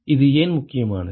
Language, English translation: Tamil, Why is this important